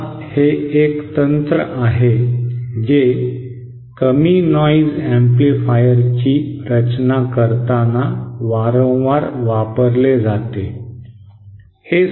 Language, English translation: Marathi, Now this is a technique that is frequently used whilst designing low noise amplifiers